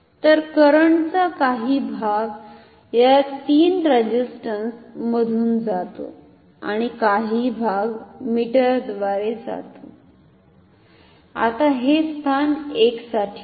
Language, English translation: Marathi, So, part of the current goes through this 3 resistances and the part goes through the meter ok, now this is for position 1